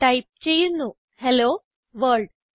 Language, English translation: Malayalam, I will type hello world